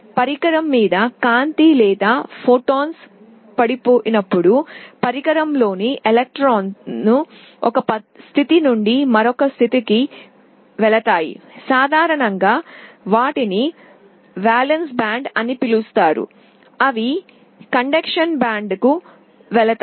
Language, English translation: Telugu, When light or photons fall on the device the electrons inside the device move from one state to the other, typically they are called valence band, they move to the conduction band